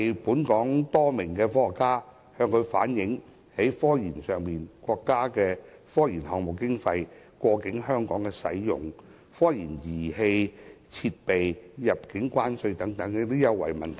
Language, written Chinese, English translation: Cantonese, 本港多名科學家曾向習近平主席反映，有關國家的科研項目經費過境在香港使用，以及科研儀器設備入境關稅優惠等問題。, Some Hong Kong scientists once wrote to President XI Jinping on issues such as allowing the cross - boundary use of state funding for technological research in Hong Kong and tariff concessions for technological research equipment